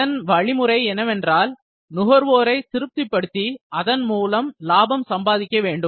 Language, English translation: Tamil, The way is to satisfy the customers then to earn profit out of that